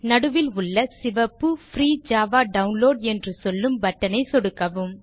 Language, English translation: Tamil, Click on the Red button in the centre that says Free Java Download